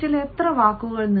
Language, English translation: Malayalam, how many words per minute